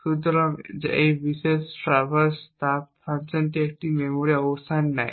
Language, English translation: Bengali, So, this particular traverse heat function takes a memory location